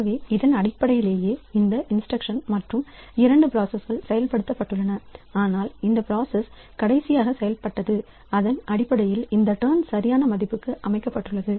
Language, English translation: Tamil, So, basically so this instruction both the processes have executed but whichever process has executed last so based on that this turn has been set to a proper value